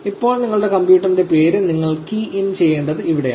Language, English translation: Malayalam, Now, this is where you need to key in the name of your computer